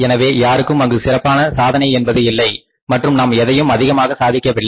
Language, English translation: Tamil, So, there is no special achievement on the part of anybody and we have not achieved anything extra